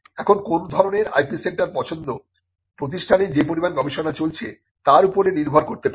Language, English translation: Bengali, Now, the choice of the type of IP centre can depend on the amount of research that is being done in the institute